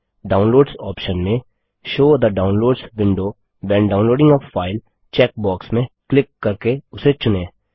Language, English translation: Hindi, In the Downloads option put a check on the check box Show the Downloads window when downloading a file